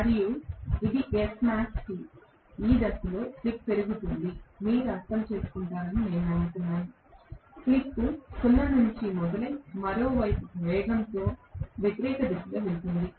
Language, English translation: Telugu, And this is Smax T, slip is increasing in this direction I hope you understand, slip is starting from 0 and going towards 1 in the opposite direction to that of the speed right